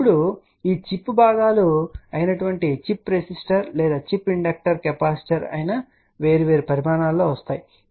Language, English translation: Telugu, Now, these chip components whether it is a chip resistor or chip inductor capacitor they come in different sizes, ok